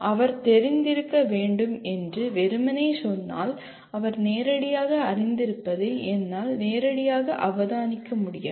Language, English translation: Tamil, If he merely say he should be familiar with I cannot directly observe what he is familiar with directly